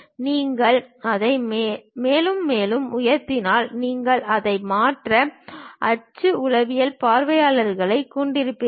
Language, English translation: Tamil, If you lift it further up, you will have it other axonometric kind of views